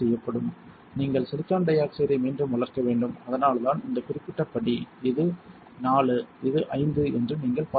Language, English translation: Tamil, So, you have to regrow silicon dioxide like this and that is why you can see this particular step this is 4, this is 5